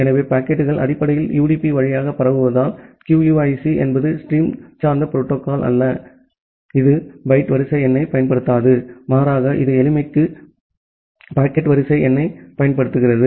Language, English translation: Tamil, So, because the packets are basically transmitted over UDP, QUIC is not a stream oriented protocol; it does not use the byte sequence number rather it uses the packet sequence number for simplicity